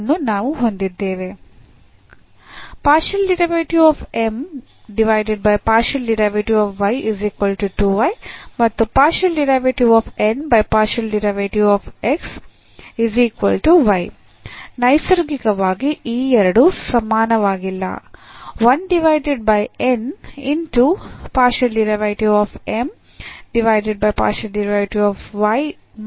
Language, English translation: Kannada, So, naturally these two are not equal